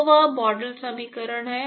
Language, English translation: Hindi, So, that is the model equation